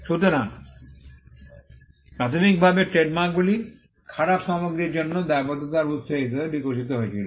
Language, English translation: Bengali, So, initially trademarks evolved as a source of attributing liability for bad goods